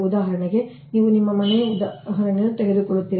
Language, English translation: Kannada, for example, you take the example of your home, right